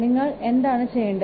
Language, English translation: Malayalam, What you have to do